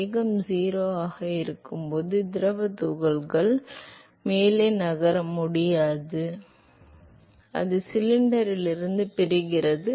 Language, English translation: Tamil, It is not able to move further when the fluid particle comes to rest when the velocity is 0, it is not able to move further anymore and so, it separates out from the cylinder